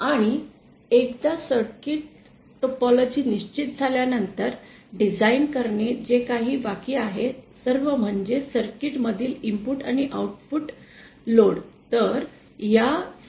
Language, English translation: Marathi, And once the circuit topology is fixed, all that is left to be designed is the input and output load in the circuit